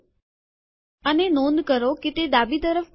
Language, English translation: Gujarati, And note that it has been left aligned